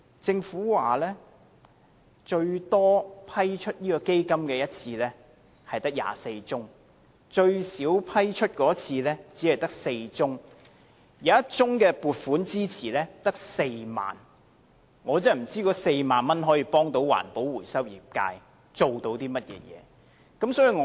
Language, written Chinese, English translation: Cantonese, 政府指出，批出基金最多的一次是24宗，而批出最少的一次只有4宗，而有1宗撥款支持更只有4萬元，我不知道該4萬元可以給環保回收業界甚麼幫助。, According to the Government the largest batch of funding approval covers 24 applications and the smallest batch 4 applications only . The funding approved for one particular application is as little as 40,000 . I do not know how a funding of 40,000 can be of any help to the waste recycling industry